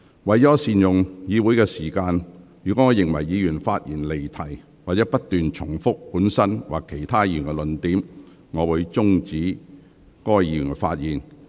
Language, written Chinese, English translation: Cantonese, 為了善用議會時間，若我認為議員發言離題或不斷重複本身或其他議員的論點，我會終止該議員發言。, To make the best use of the Councils time if I find a Member has digressed from the subject or kept repeating his own argument or that of the others I will stop him from speaking